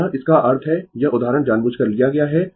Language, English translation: Hindi, So, this; that means, this example intentionally I have taken